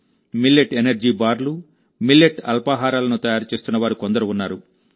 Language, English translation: Telugu, There are some who are making Millet Energy Bars, and Millet Breakfasts